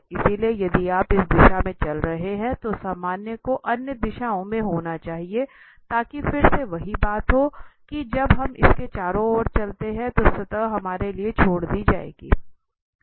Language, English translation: Hindi, So, if you are walking in this direction then the normal should be in other directions so that again the same thing happened that when we walk around this the surface will be left to us okay